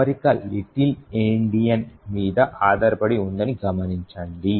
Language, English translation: Telugu, Note that the alignment is based on Little Endian